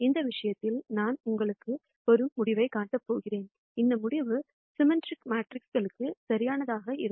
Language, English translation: Tamil, In this case, I am going to show you the result; and this result is valid for symmetric matrices